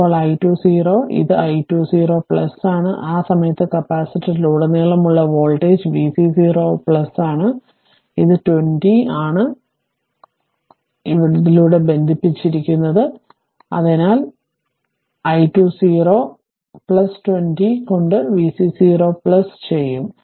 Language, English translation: Malayalam, Now, i 2 0 plus your ah this is your i 2 0 plus and at that time voltage across the capacitor that is v c 0 plus, so it is 20 ohm is connected across this, so i 2 0 plus will v c 0 plus by 20